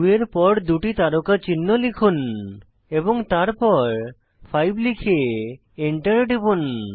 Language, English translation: Bengali, Type 2 followed by the asterisk symbol twice and then 5 and press Enter